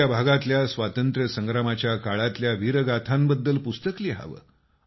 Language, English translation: Marathi, Write books about the saga of valour during the period of freedom struggle in your area